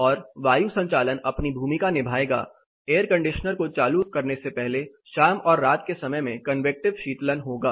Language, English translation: Hindi, And ventilation will play it is role convective cooling will happen during evenings and the night time, before turning on the air conditioner